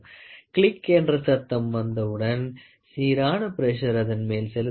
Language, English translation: Tamil, Moment we get a click sound, the idea is uniform pressure is applied